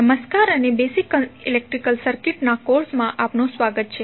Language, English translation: Gujarati, Hello and welcome to the course on basic electrical circuits